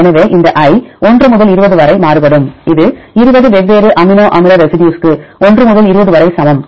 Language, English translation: Tamil, So, this i varies from 1 to 20 this is i equal to 1 to 20 for the 20 different amino acid residues